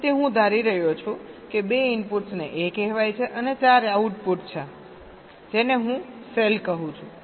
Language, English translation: Gujarati, so i am assuming that that two inputs is called a and there are four outputs